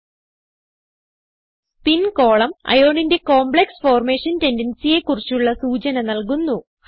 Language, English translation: Malayalam, Spin column gives idea about complex formation tendency of Iron